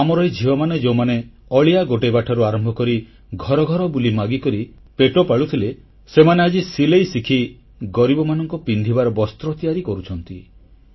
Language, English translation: Odia, Our daughters, who were forced to sift through garbage and beg from home to home in order to earn a living today they are learning sewing and stitching clothes to cover the impoverished